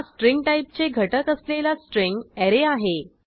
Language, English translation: Marathi, This is the string array which has elements of string type